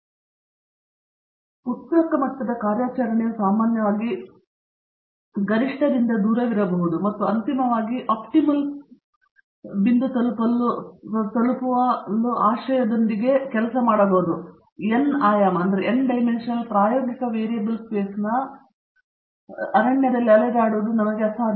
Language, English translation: Kannada, So, the current level of operation may be usually far away from the optimum and we cannot afford to wander in the wilderness of the n dimensional experimental variable space hoping to eventually reach the optimum